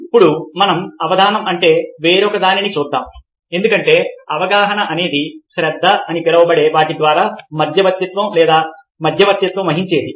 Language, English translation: Telugu, now lets look at something else, which is attention, because perception is something which is intermediated by, or mediated by, what is known as attention